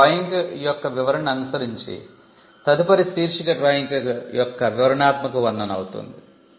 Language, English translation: Telugu, Now, following the description of drawing, the next heading will be detailed description of the drawing